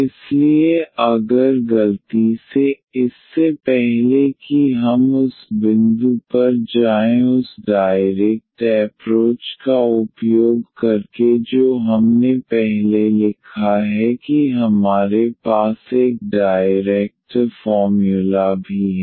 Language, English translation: Hindi, So, if by mistake, before we go to that point here using that direct approach which we have written down before that we have a direct formula as well